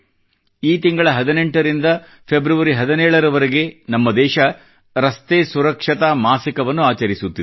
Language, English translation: Kannada, This very month, from the 18th of January to the 17th of February, our country is observing Road Safety month